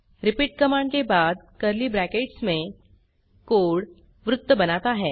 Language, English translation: Hindi, repeat command followed by the code in curly brackets draws a circle